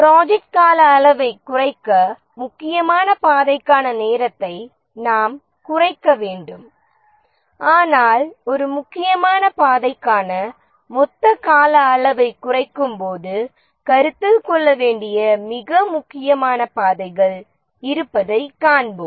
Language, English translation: Tamil, To reduce the project duration we need to reduce the time for the critical path but then as we reduce the project duration, we need to reduce the time for the critical path